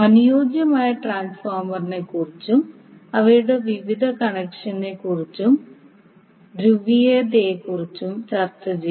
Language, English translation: Malayalam, And also discussed about the ideal transformer and their various connections and the polarity